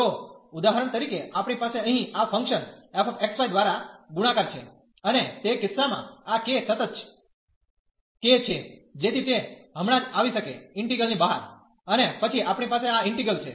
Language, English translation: Gujarati, So, for example we have here the k multiplied by this function f x, y and in that case this is a constant k, so that can just come out the integral, and then we have this integral d f x, y d A